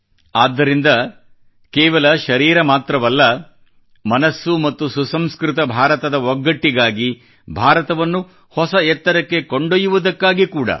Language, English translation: Kannada, And so, not just our body, but our mind and value system get integrated with ushering unity in India to take India to loftier heights